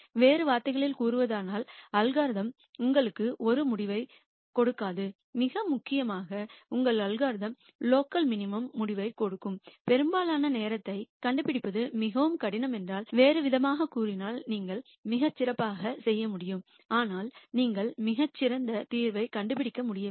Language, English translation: Tamil, In other words the algorithm will not give you the same result consistently and more importantly if it is very difficult to find this most of the time your algorithm will give you result which is local minimum, in other words you could do much better, but you are not able to find the solution that does much better